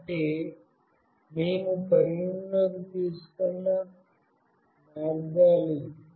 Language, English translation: Telugu, So, all the possible ways we have taken into consideration